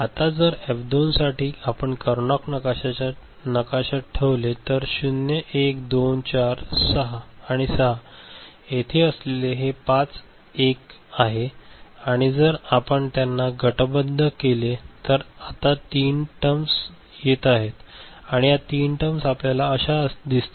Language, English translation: Marathi, Now, for F2 if you just put them in the Karnaugh map, so these are the 1s five 1s that are there 0, 1, 2, 4 and 6 and if you group them, three terms are coming now these three terms you will see that we will require ok